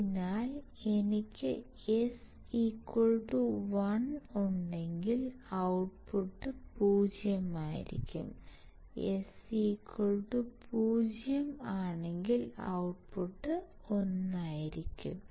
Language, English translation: Malayalam, So, if I have s equals to 1, this will be open my output would be 0, if my s equals to 0 this closes, and my output would be one